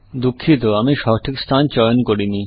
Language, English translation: Bengali, Sorry, I did not choose the correct position